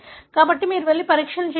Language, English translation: Telugu, So, you go and do assays